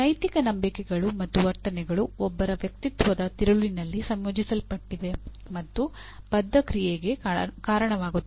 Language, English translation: Kannada, And moral beliefs and attitudes are integrated into the core of one’s personality and lead to committed action